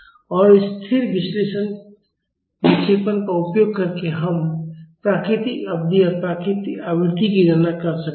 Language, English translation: Hindi, And using this static deflection, we can calculate the natural period and natural frequency